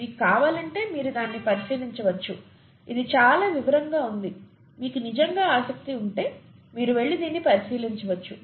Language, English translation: Telugu, If you want you can take a look at it, it’s a lot of detail, if you’re really interested you can go and take a look at this